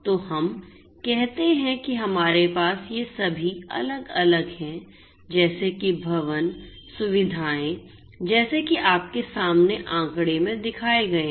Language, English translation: Hindi, So, let us say that we have all these different ones like buildings, facilities, etcetera like the ones that are shown in the figure in front of you